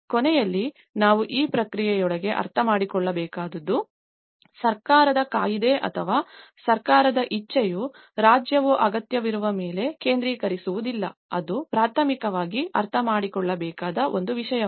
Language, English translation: Kannada, At the end, what we have to understand is even within this process, the government act or the government will is not the state will is not focusing on the needy, that is one thing would have to primarily understand